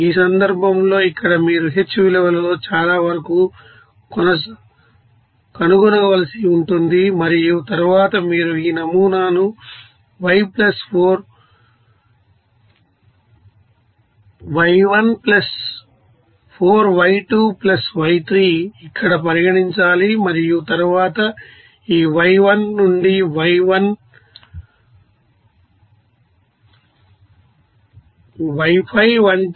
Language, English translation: Telugu, In this case here you have to find out as far in the h value and then successively you have to you know, consider this pattern here and then other points like this y3 to y5 which will be